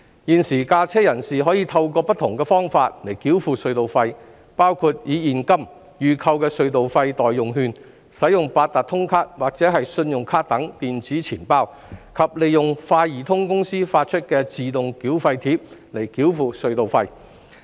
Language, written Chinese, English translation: Cantonese, 現時駕車人士可透過不同的方法繳付隧道費，包括以現金、預購的隧道費代用券、八達通卡或信用卡等電子錢包，以及利用快易通公司發出的自動繳費貼來繳付隧道費。, At present there are different payment methods for motorists to pay tunnel tolls . These include payment by cash by prepaid toll ticket by digital wallet such as Octopus cards and credit cards and by using an Autotoll tag issued by the Autotoll Limited